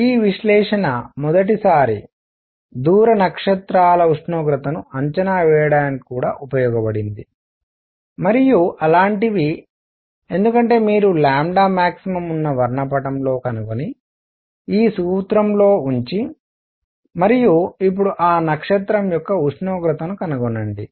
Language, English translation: Telugu, This analysis was also used for the first time to estimate the temperature of distance stars, and things like those because you have to find in their spectrum where lambda max is and put that in this formula and find the temperature of that now that star